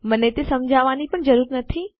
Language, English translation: Gujarati, I dont even need to explain it but anyway